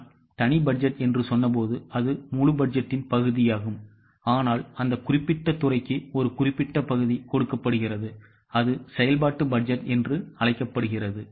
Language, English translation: Tamil, When I said separate budget, it's a part of the whole budget but for that particular department a particular portion is given that is known as a functional budget